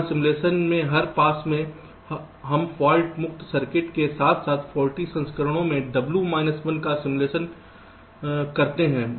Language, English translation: Hindi, so what we do here, in every pass of the simulation we simulate the fault free circuits as well as w minus one of the faulty version